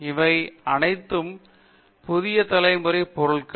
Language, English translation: Tamil, So this is the new generation